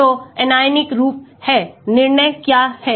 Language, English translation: Hindi, So, the anionic form is, what is decide